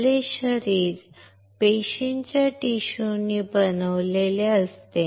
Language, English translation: Marathi, Our body is made up of cells tissues